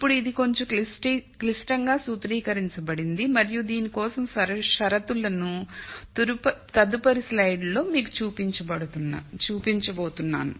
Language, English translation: Telugu, Now this becomes a little more complicated formulation and I am going to show you the conditions for this in the next slide